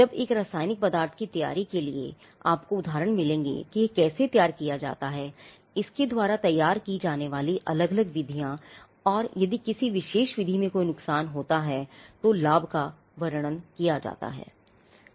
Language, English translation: Hindi, Whereas, for a preparation of a chemical substance, you will find examples or example 1, 2, how this is prepared, the different methods by which it can be prepared and if there is a disadvantage in a particular method that advantage is described